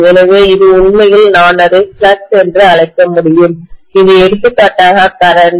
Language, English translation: Tamil, So this is actually I can call that as flux and this is current for example